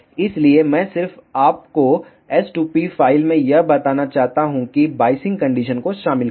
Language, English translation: Hindi, So, I just want to tell you in the s2p file the incorporate the biasing condition